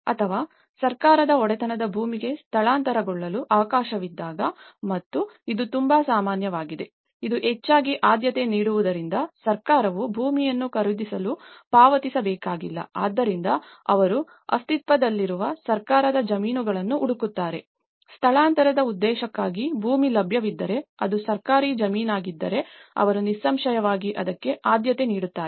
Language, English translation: Kannada, Or, when there is a chance to relocate to land owned by the government and this is very common and because this is mostly preferred, so that the government need not pay for the buying the land so, this is what they look for the existing government lands, so that if there is a land available for the relocation purpose, if it is a government land they are obviously prefer for that